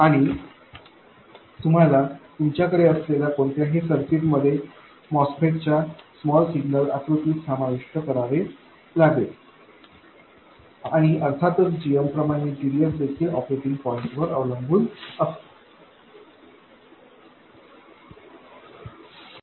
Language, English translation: Marathi, And that you have to include into the small signal picture of the MOSFET in any circuit that you have and of course like GM GDS also depends on the operating point